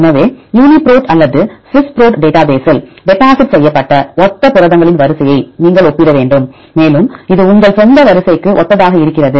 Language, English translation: Tamil, So, you have to compare the sequence of similar proteins right deposited in the Uniprot or Swiss Prot database and which are homologous to this your own sequence right